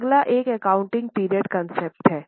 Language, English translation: Hindi, Next turn is accounting period concept